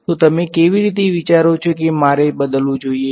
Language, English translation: Gujarati, So, how do you think I should replace